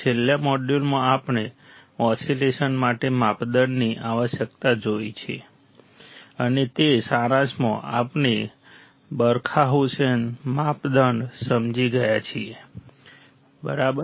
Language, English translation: Gujarati, In the last module, we have seen the criteria requirement for oscillations, right and that in summary, we have understood the Barkhausen criteria, right